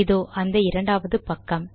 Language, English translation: Tamil, Okay this is the second page